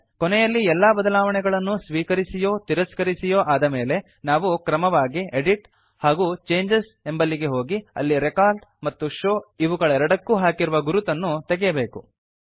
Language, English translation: Kannada, Finally, after accepting or rejecting changes, we should go to EDIT CHANGES and uncheck Record and Show options